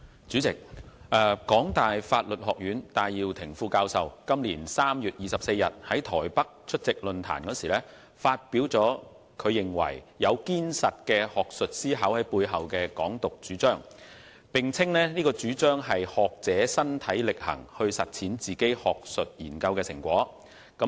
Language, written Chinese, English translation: Cantonese, 主席，香港大學法律學院戴耀廷副教授於今年3月24日在台北出席論壇時，發表他認為"有堅實的學術思考在背後的'港獨'"主張，並稱該主張是"學者身體力行去實踐自己學術研究的成果"。, President when attending a forum held in Taipei on 24 March this year Benny TAI Associate Professor of the Faculty of Law of the University of Hong Kong HKU stated that there was solid academic thinking behind his advocacy of Hong Kong independence and this was what a scholar did to put the outcome of his academic researches into personal practice